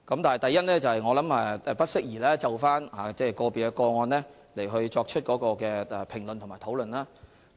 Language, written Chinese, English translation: Cantonese, 第一，我認為不適宜就個別個案作出評論和討論。, First I do not think it is appropriate to comment on and discuss individual cases